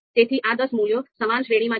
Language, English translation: Gujarati, So these ten values are in similar range